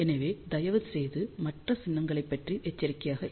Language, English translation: Tamil, So, please be aware about the other symbol also